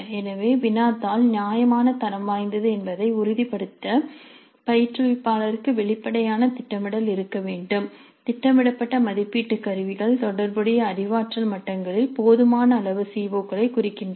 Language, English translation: Tamil, So, the instructor has to have upfront planning to ensure that the question paper is of reasonable quality, the assessment instruments that are being planned do address the CBOs sufficiently at the relevant cognitive levels